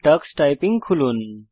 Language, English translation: Bengali, Let us open Tux Typing